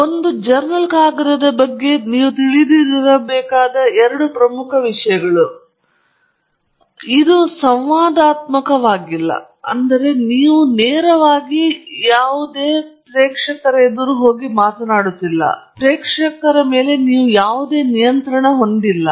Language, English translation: Kannada, May be the two other major things that you need to understand about a journal paper are these last two points here that it is not interactive and you have no control on audience